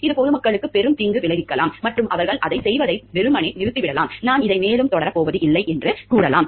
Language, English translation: Tamil, It may lead to the major harm towards the public and they may simply stop doing it, they may tell I am not going to continue with this further